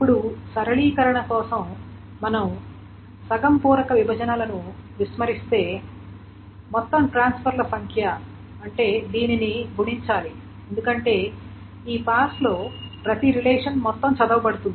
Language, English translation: Telugu, Now for simplification, if we ignore half field partitions, the total number of transfers, therefore, this has to be multiplied because in every of this pass, the entire relation is red, etc